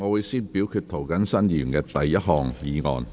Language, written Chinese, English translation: Cantonese, 現在先表決涂謹申議員的第一項議案。, Council now first votes on Mr James TOs first motion